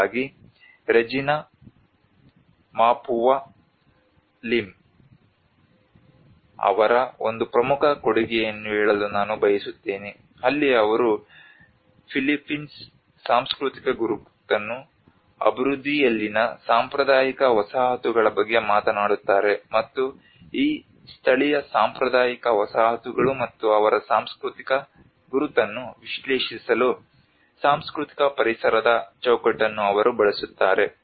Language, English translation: Kannada, So I would like to bring one of the important contribution of Regina Mapua Lim where she talks about the Philippines cultural identity on traditional settlements in development, and she uses a framework of cultural environment for analysing these indigenous traditional settlements and their cultural identity, and their understanding towards the impacts of the climate change and as well as the day to day routine vulnerable situations